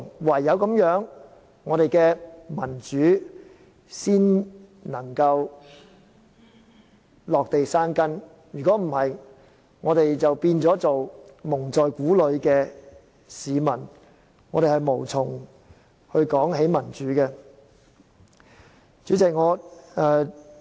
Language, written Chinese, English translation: Cantonese, 唯有如此，我們的民主才能落地生根，否則我們只會一直被蒙在鼓裏，無從談論民主了。, Only when this happens can democracy take root here in Hong Kong . If not we will continue to be kept in the dark and find no way to strive for democracy